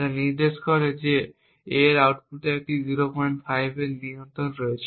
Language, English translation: Bengali, 5 indicating that A has a control of 0